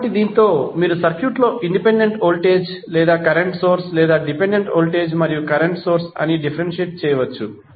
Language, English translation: Telugu, So, with this you can differentiate whether in the circuit there is a independent voltage or current source or a dependent voltage and current source